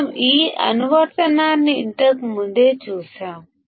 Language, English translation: Telugu, We have seen this application earlier also